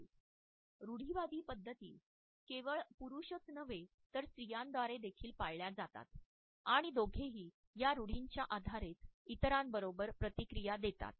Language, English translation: Marathi, These stereotypes are widely held not only by men, but also interestingly by women and both react towards others on the basis of these stereotypes